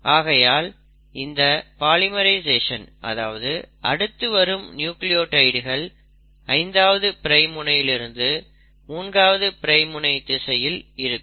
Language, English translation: Tamil, So the polymerisation, adding in of successive nucleotides is happening in a 5 prime to 3 prime direction